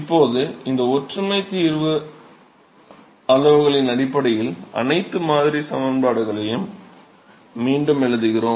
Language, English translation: Tamil, So, now we rewrite all the model equations in terms of these similarity solution quantities